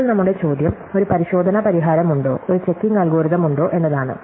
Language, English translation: Malayalam, So, now, our question is, is there a checking solution, is there a checking algorithms